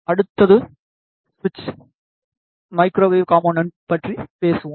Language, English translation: Tamil, The next we will talk about the other other microwave component that is switch